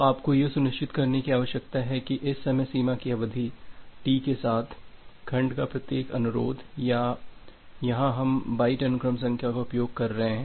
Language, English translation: Hindi, So, you need to ensure that with this time out duration T, every instances of a segment or here we are using byte sequence number